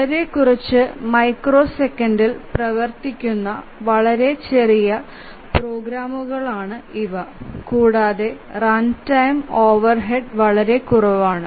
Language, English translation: Malayalam, And these are very small programs run for a few microseconds, just few lines of code and incur very less runtime overhead